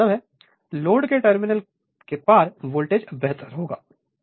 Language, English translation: Hindi, So that means, voltage across the terminal of the load will be better right